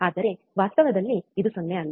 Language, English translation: Kannada, But in reality, this is not 0